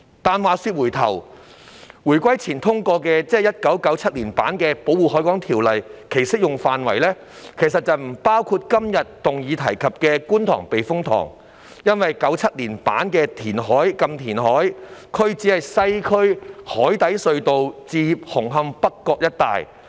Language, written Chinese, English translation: Cantonese, 但話說回來，回歸前通過的——即1997年版的——《條例》的適用範圍，其實不包括今天議案提及的觀塘避風塘，因為《1997年條例》下的"禁填海"區只是西區海底隧道至紅磡北角一帶的海港。, But anyway the application of the Ordinance passed prior to the unification―that is the 1997 version ―in fact did not cover KTTS mentioned in todays motion because the no - reclamation area under the 1997 Ordinance only covered the harbour surrounded by the Western Harbour Crossing and Hung Hom - North Point